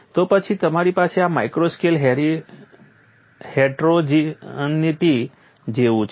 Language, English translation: Gujarati, Then you have this micro scale heterogeneity and so on